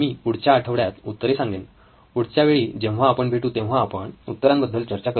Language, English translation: Marathi, I will post the answers the next week, next time we meet we will actually discuss the answers